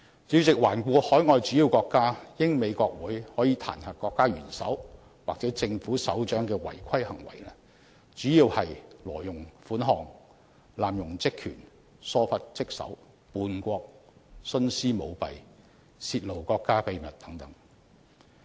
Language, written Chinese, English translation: Cantonese, 主席，環顧海外主要國家，英國和美國的國會可以就國家元首或政府首長的違規行為提出彈劾，主要是針對"挪用款項"、"濫用職權"、"疏忽職守"、"叛國"、"徇私舞弊"和"泄露國家秘密"等行為。, President in the case of major overseas countries the British Parliament and the United States Congress may impeach their head of state or head of government for offences such as misapplication of funds abuse of official power neglect of duty treason practice of favouritism and disclosure of state secrets